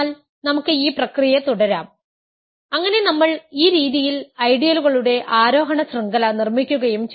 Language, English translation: Malayalam, So, we can continue this process so and we construct and we construct an ascending chain, ascending chain of ideals in this way